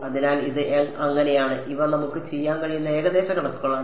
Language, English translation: Malayalam, So, this is so, these are the approximations that we can do